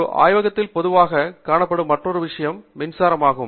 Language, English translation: Tamil, The other thing that is commonly present in a lab is electricity